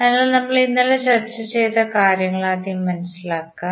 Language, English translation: Malayalam, So, let us first understand what we discussed yesterday